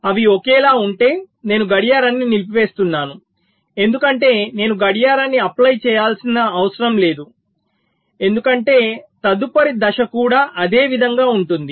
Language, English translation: Telugu, if they are same, i am disabling the clock because i need not apply the clock, because the next state will also be the same